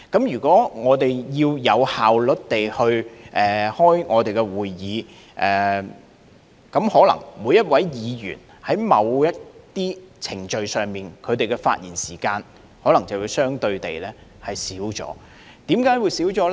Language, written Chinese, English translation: Cantonese, 如果我們要有效率地舉行會議，可能在某些程序上，每一位議員的發言時間便會相對減少，為何減少呢？, If Council meetings are to be conducted efficiently the speaking time of a Member in certain proceedings may have to be reduced . Why?